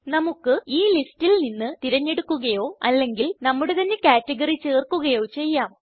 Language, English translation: Malayalam, We can select from the list or add our own category